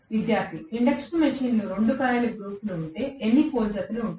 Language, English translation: Telugu, Student: In an induction machine how many pole pairs are there if there are 2 coil groups